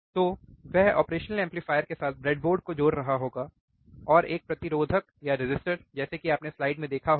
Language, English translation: Hindi, So, he will be connecting the breadboard along with the operational amplifier, and a resistors like you have seen in the in the slide